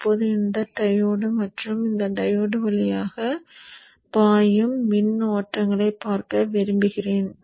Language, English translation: Tamil, Now I would like to see the currents that are flowing through this diode and this diode